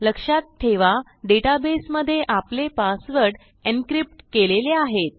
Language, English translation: Marathi, Please remember that inside our database, our passwords are encrypted